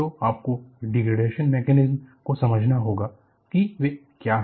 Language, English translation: Hindi, So, you have to understand the degradation mechanisms and what are they